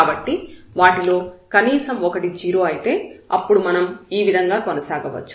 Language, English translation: Telugu, So, at least one of them s 0 then we can proceed in this way